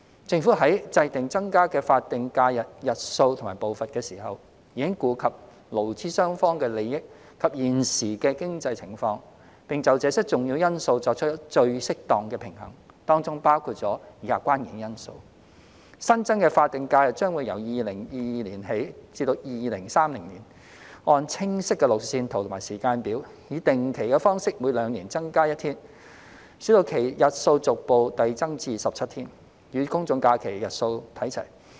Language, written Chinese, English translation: Cantonese, 政府在制訂增加的法定假日日數和步伐時，已顧及勞資雙方的利益及現時的經濟情況，並就這些重要因素作出最適當的平衡，當中包括以下關鍵因素：新增的法定假日將會由2022年起至2030年，按清晰的路線圖和時間表，以定期的方式每兩年增加一天，使其日數逐步遞增至17天，與公眾假期日數看齊。, In formulating the number and pace of increasing the number of SHs the Government has already taken into account the interests of employees and employers and the present economic situation and has struck the most appropriate balance among these important considerations which include the following key considerations The number of SHs will be increased regularly with one additional day every two years from 2022 to 2030 in accordance with a clear roadmap and timetable until it reaches 17 days on a par with the number of GHs